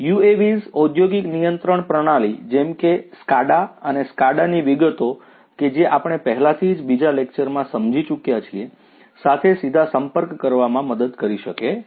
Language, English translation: Gujarati, UAVs can help communicate directly to an industrial control system such as a SCADA and details of SCADA we have already understood in another lecture